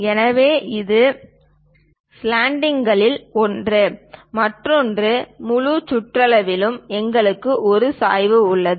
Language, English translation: Tamil, So, this is one of the slant, one other one; around the entire circumference, we have a slant